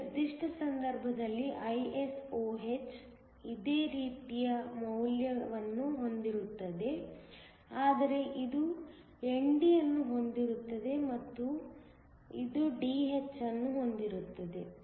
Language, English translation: Kannada, In this particular case, ISOh will have a similar value except this will have ND and it will have Dh